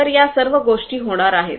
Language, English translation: Marathi, So, all of these things are going to happen